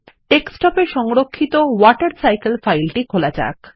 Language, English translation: Bengali, Let us open the WaterCycle file which we had saved on the Desktop